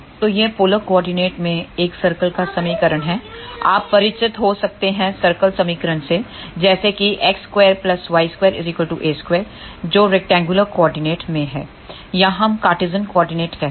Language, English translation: Hindi, So, this is the equation of a circle in the polar coordinate, you might be familiar with the equation of circle as x square plus y square is equal to a square that is in rectangular coordinate or we say Cartesian coordinate